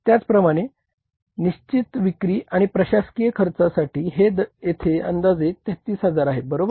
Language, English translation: Marathi, Similarly for fixed selling and administrative cost it is estimated here is 33,000 right